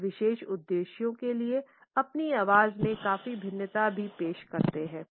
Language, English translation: Hindi, They also introduce quite a lot of variation into their voices for particular purposes